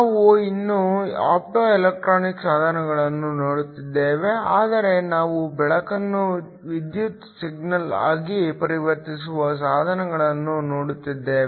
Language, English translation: Kannada, We are still looking at Optoelectronic devices, but we are looking devices where we convert light into an electrical signal